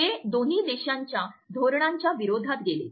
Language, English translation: Marathi, It went against the policies of both countries